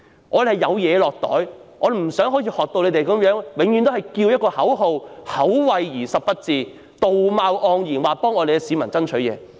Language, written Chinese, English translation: Cantonese, 我們希望有好處"落袋"，不想永遠只是呼叫口號，口惠而實不至，道貌岸然地說為市民爭取。, We seek to pocket benefits and do not want to chant empty slogans all the time and we do not want to pose as persons of high morals when fighting for members of the public